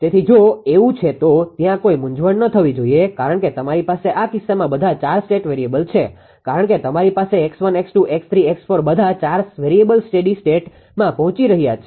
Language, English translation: Gujarati, So, if it is so that they where there should not be any confusion because you have all the 4 state variables in this case because you have X 1 X 2 X 3 X 4 all the 4 variables all steady S all are reaching to the steady state, right